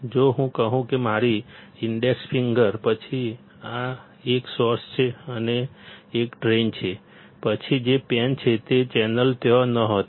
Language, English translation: Gujarati, If I say that my index finger; then, this one is source and this one is drain; then, the channel which is this pen was not there